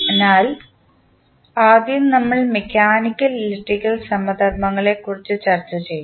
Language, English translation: Malayalam, So, first we will discuss about the mechanical, electrical analogies